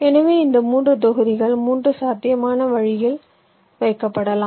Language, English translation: Tamil, so these three blocks can be placed in three possible ways